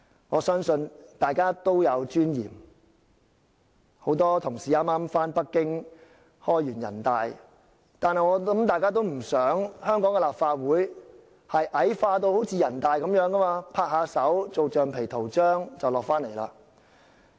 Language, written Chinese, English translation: Cantonese, 我相信大家都有尊嚴，很多同事剛剛到北京參加全國人民代表大會會議，我想大家都不想香港立法會矮化得像人大一樣，成為拍手通過議案的橡皮圖章。, I believe all Members are persons of dignity; some Members have just attended the National Peoples Congress NPC meetings held in Beijing I presume that none of us would like to see the Legislative Council of Hong Kong being degenerated to a rubber stamp like NPC the deputies to which merely clap hands to pass the motions presented